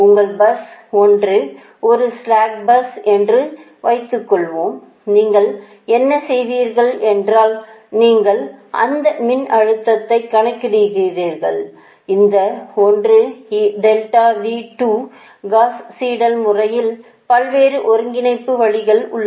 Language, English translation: Tamil, suppose your bus one is a slack bus, right, that what you will do, that you calculate that voltage, this one, delta v two, in the gauss seidel method there are ah different ways of convergence, ah different ways of convergence